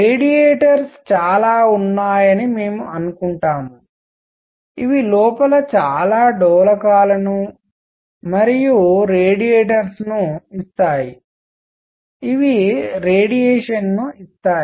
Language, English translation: Telugu, We are going to assume that there are lot of radiators, which give out lot of oscillators and radiators inside right, which give out radiation